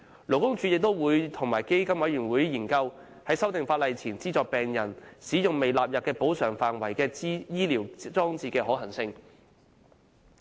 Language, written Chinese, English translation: Cantonese, 勞工處亦會與基金委員會研究，在法例修訂前資助病人使用未納入補償範圍的醫療裝置的可行性。, LD will also work with PCFB to explore the possibility of financing the use of medical appliances not yet covered by PMCO before legislative amendment